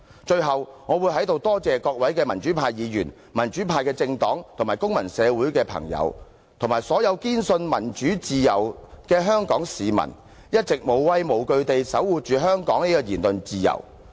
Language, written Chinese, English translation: Cantonese, 最後，我要在這裏多謝各位民主派議員、民主派政黨及公民社會的朋友，以及所有堅信民主自由的香港市民，一直無畏無懼地守護着香港的言論自由。, Lastly here I wish to thank Members of the pro - democracy camp pro - democracy political parties friends of civil society and all members of the Hong Kong public who have all along believed steadfastly in democracy and freedom for defending the freedom of speech in Hong Kong fearlessly